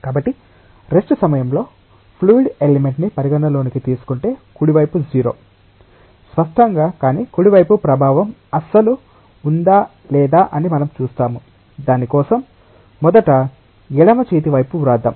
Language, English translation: Telugu, So, if we consider a fluid element at rest the right hand side is 0; obviously, but we will see that whether the effect of right hand side is there at all or not, for that first let us write the left hand side